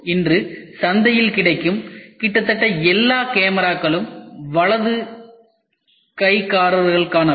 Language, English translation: Tamil, Almost all the cameras which are available in the market today are for right handers